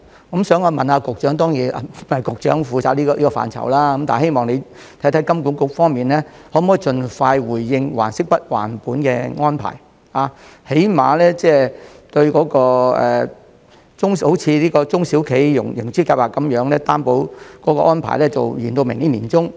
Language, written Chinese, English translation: Cantonese, 我想問局長......局長當然負責這個範疇，希望局長看看金管局方面可否盡快就還息不還本的安排作出回應，最低限度像中小企融資擔保計劃般，延長至明年年中。, I would like to ask the Secretary Since the Secretary is in charge of this area I urge him to see whether HKMA can give a response on the issue of principal payment holidays as soon as possible or at least extend the scheme to the middle of next year as in the case of the SME Financing Guarantee Scheme